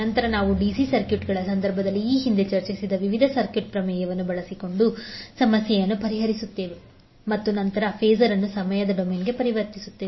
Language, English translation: Kannada, Then we will solve the problem using a various circuit theorems which we discussed previously in case of DC circuits and then transform the resulting phasor to the time domain back